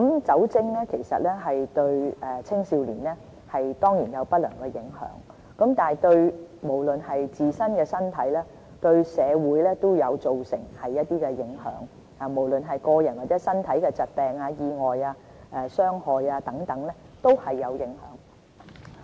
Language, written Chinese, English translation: Cantonese, 酒精對青少年當然有不良的影響，對自身身體和社會都會造成影響，無論是對個人，或者導致疾病、意外、身體的傷害等，都有影響。, Alcohol does bring about adverse effects on adolescents health . There are consequences for both individuals and society in terms of diseases accidents or bodily harm etc that may result